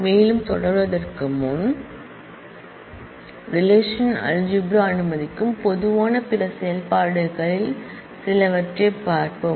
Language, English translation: Tamil, Before proceeding further, Let us look into some of the typical other operations that relational algebra allows